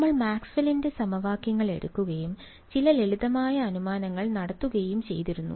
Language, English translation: Malayalam, We had taken Maxwell’s equations right and made some simplifying assumptions